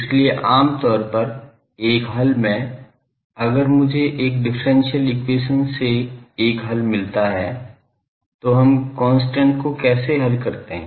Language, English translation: Hindi, So, generally how in a solution, if I get a solution from a differential equation, how do we solve the constant